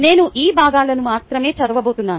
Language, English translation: Telugu, i am going to read only parts of this